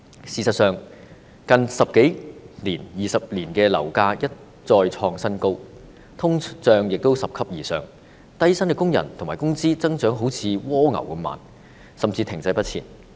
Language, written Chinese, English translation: Cantonese, 事實上，香港的樓價在近十多二十年一再創新高，通脹拾級而上，但低薪工人的工資增長卻仿如蝸牛般緩慢，甚至是停滯不前。, As a matter of fact the property prices in Hong Kong have never ceased to hit new highs over the last decade or two and the inflation rate has multiplied . But the wages of low - paid workers have grown at a snails pace or even remained stagnant